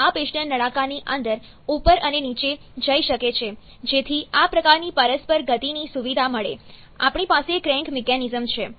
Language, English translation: Gujarati, This piston can move up and down inside the cylinder to facilitate such kind of reciprocating motion, we have the crank mechanism